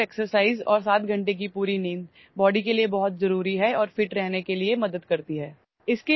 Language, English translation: Urdu, Regular exercise and full sleep of 7 hours is very important for the body and helps in staying fit